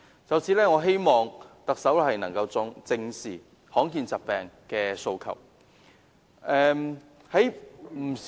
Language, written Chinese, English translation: Cantonese, 就此，我希望特首能夠正視罕見疾病病人的訴求。, In this connection I hope the Chief Executive can address squarely the demands made by rare disease patients